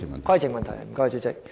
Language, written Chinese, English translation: Cantonese, 規程問題，主席。, A point of order Chairman